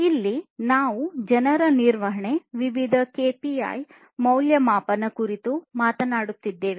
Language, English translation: Kannada, Here basically we are talking about people management use of different KPIs to assess